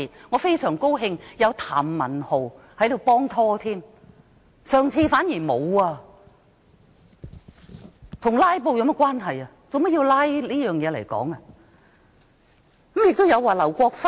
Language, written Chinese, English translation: Cantonese, 我非常高興今次有譚文豪議員幫忙，上屆反而沒有人幫忙，這與"拉布"有何關係？, I am very glad that Mr Jeremy TAM has come to my aid this time . I did not get any help in the last term